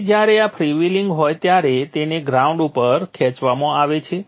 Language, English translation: Gujarati, So when this is freewheeling this is pulled to the ground